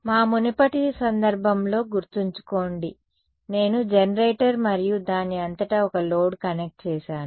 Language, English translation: Telugu, Remember in our earlier case, I had the generator and one load connected across it